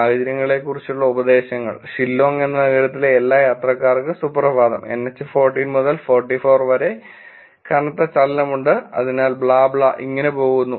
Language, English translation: Malayalam, Advisories on situations, good morning to all commuters of Shillong City, there is heavy movement over NH 40 to 44 and blah blah blah